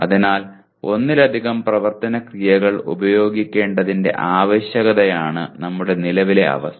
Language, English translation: Malayalam, So our current position is the need for using more than one action verb is not that very common